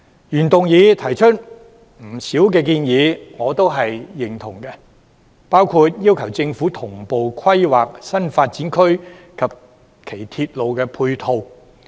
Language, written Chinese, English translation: Cantonese, 原議案提出的不少建議，我都是認同的，包括要求政府同步規劃新發展區及其鐵路配套。, I agree with a few proposals in the original motion such as asking the Government to plan new development areas in tandem with their ancillary railway facilities